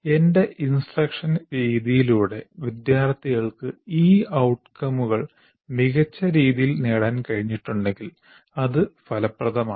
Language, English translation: Malayalam, So if I am able to, through my instructional method, if the students have been able to attain these outcomes to a better extent, then this is effective